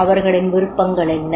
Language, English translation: Tamil, Now, what are the options